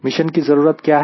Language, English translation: Hindi, what are the mission requirements